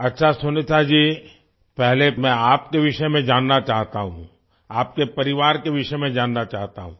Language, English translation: Hindi, Okay Sunita ji, at the outset, I wish to know about you; I want to know about your family